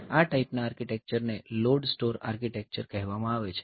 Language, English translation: Gujarati, So, this type of architecture so, they are called load store architectures